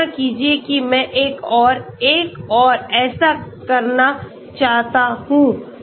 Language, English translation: Hindi, So use of this, imagine I want to do one more and so on